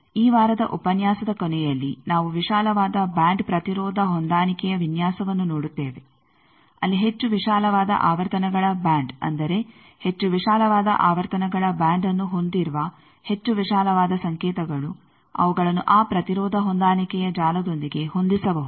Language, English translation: Kannada, At the end of this week lecture, we will see wide band impedance matching design where much wider band of frequencies that means, much wide signals which containing much wider band of frequencies, they also can be matched with that impedance matching network